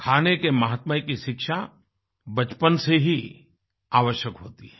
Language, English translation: Hindi, The education regarding importance of food is essential right from childhood